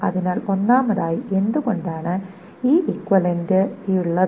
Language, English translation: Malayalam, So first of all, why are this equivalent